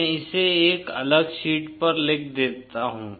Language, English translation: Hindi, Let me write it on a different sheet